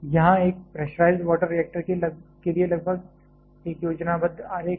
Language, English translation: Hindi, This is a almost schematic diagram for a pressurized water reactor